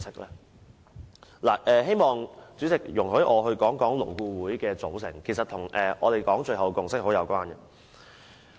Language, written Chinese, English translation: Cantonese, 主席，希望你容許我說說勞顧會的組成，這與我們最後說的共識是有關的。, Chairman I hope that you will allow me to talk about the composition of LAB which has something to do with the consensus that I just talked about